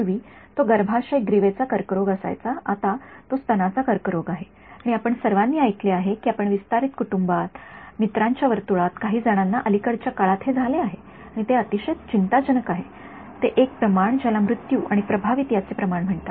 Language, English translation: Marathi, Earlier it used to be cervical cancer, now it is breast cancer and we have all heard amongst are you know extended families, in friends circle some one of the other has got it in recent times and what is very alarming is that there is a ratio called mortality to incidents